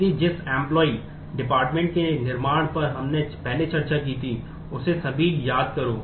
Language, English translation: Hindi, So, just recall the employee department building kind of situation we discussed earlier